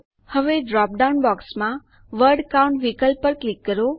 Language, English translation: Gujarati, Now click on the Word Count option in the dropdown box